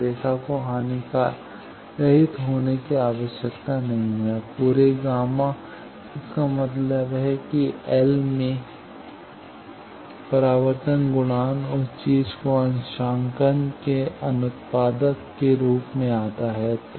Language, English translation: Hindi, The line need not be lossless also the whole gamma; that means, the propagation constant into L that thing comes out of as a byproduct of the calibration